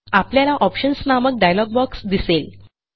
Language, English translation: Marathi, You will see the Options dialog box